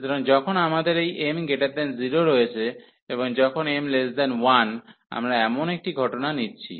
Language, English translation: Bengali, So, when we have this m greater than 0, and we are considering a case when m is less than 1